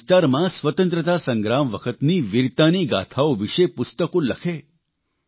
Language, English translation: Gujarati, Write books about the saga of valour during the period of freedom struggle in your area